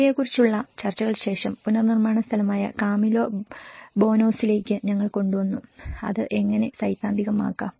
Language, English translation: Malayalam, And after having the discussions of all these, we brought to the Camilo Boanos, the reconstruction space, how it can be theorized